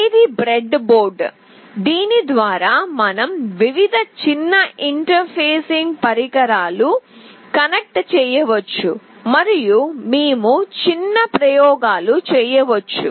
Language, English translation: Telugu, This is a breadboard through which we can connect various small interfacing devices and we can do small experiments